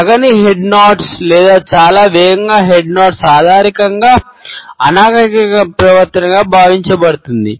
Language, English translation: Telugu, An inappropriate head nodding or too rapid a head nodding is perceived normally as a rude behavior